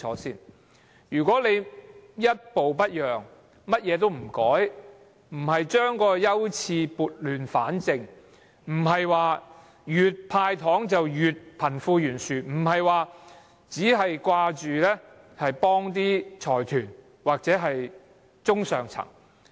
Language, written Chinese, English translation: Cantonese, 政府不應一步不讓，甚麼也不改，不把優次撥亂反正，越"派糖"便令貧富懸殊越嚴重，只顧幫助財團或中上層。, The Government should not refuse to yield an inch and insist on not making any amendments . It should not refuse to rationalize priorities as the candies it handed out have widened the wealth gap